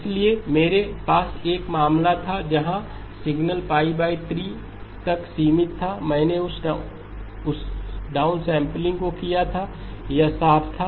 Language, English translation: Hindi, So I had a case where the signal was limited to pi over 3, I did that downsampling, it was clean